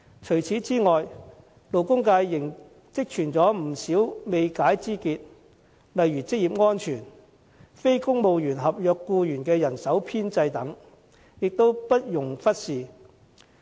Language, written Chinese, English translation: Cantonese, 除此之外，勞工界仍積存不少未解之結，例如職業安全、非公務員合約僱員的人手編制等，也不容忽視。, Besides there are still many untied knots in the labour sector . Issues such as occupational safety and the manpower establishment of non - civil service contract staff cannot be ignored